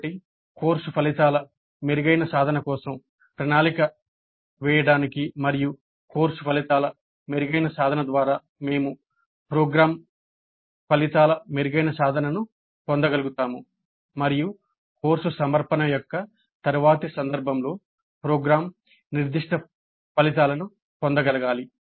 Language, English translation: Telugu, So that should be evaluated to plan for better attainment of course outcomes and via the better attainment of course outcomes we should be able to get better attainment of program outcomes as well as program specific outcomes in the next instance of course offering